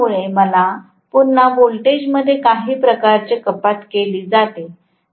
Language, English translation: Marathi, Because of which is again that introduces some kind of reduction into voltage